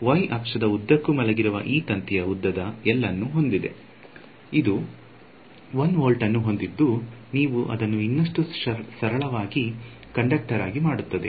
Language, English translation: Kannada, So, this wire which is lying along the y axis it has some length L, it has 1 volt you make it even simpler perfect conductor